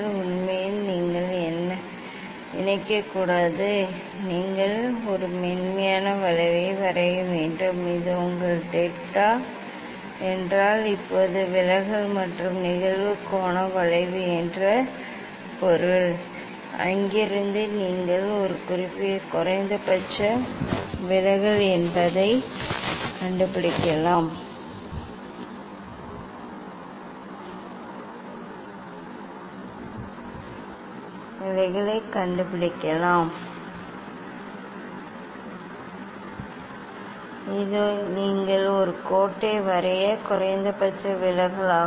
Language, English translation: Tamil, Actually, you should not connect you should draw a smooth curve this is your delta means deviation versus incident angle curve now, from there you can find out the just this is the minimum deviation, this is the minimum deviation you draw a line